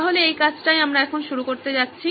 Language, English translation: Bengali, So that is what we are going to do